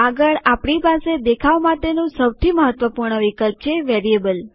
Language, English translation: Gujarati, Next we have the most important viewing option called the Variable